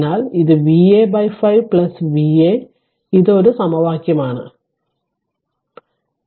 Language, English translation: Malayalam, So, it is V a by 5 plus V a minus this is one equation this is one equation you will get